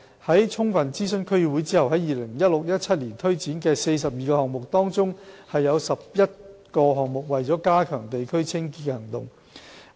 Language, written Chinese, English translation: Cantonese, 在充分諮詢區議會後 ，2016-2017 年度推展的42個項目，當中有11個項目為加強地區清潔的行動。, Upon thorough consultation with DCs 42 projects were carried out in 2016 - 2017 of which 11 were projects concerning operations to enhance the cleanliness in the districts